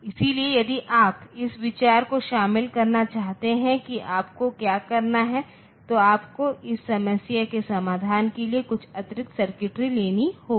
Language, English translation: Hindi, So, if you want to incorporate that idea what you have to do is, you have to you have to just take some extra circuitry for solving this for this problem